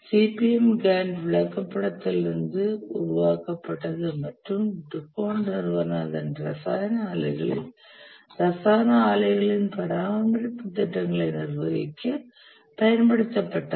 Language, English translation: Tamil, The CPM was developed from Gant Chet and was used by the company DuPont in its chemical plants for managing maintenance projects of chemical plants